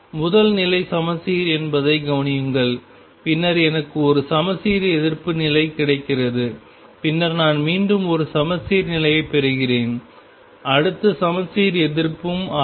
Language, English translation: Tamil, Notice that the first state is symmetric, then I get an anti symmetric state, then I get a symmetric state again, next one will be anti symmetric